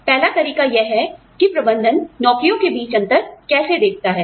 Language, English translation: Hindi, The first one is, how does the management perceive, differences in between jobs